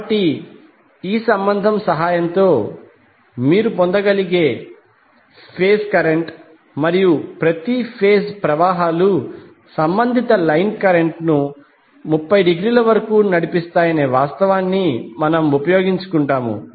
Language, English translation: Telugu, So phase current you can obtain with the help of this relationship and we utilize the fact that each of the phase currents leads the corresponding line current by 30 degree